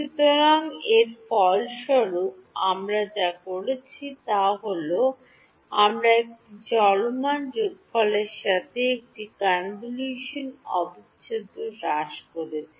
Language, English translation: Bengali, So, what we have done as a result of this is, we have reduced a convolution integral to a running sum ok